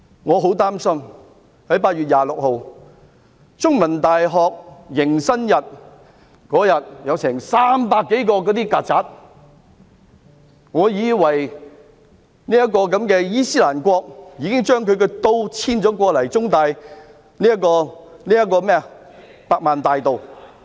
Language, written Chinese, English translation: Cantonese, 我很擔心，在8月26日的中文大學迎新日竟有300多隻"曱甴"，教我以為"伊斯蘭國"已遷都中文大學的百萬大道。, I am so worried because some 300 cockroaches were present at the Orientation Day of The Chinese University of Hong Kong CUHK on 26 August which had almost convinced me that the capital of ISIS was moved to the Million Boulevard of CUHK